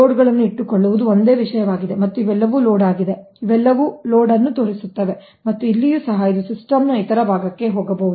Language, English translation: Kannada, again, this is also same thing: keep a loads, and these are all load, these are all showing load, and here also, it maybe going to the other part of the system, so to rest of the system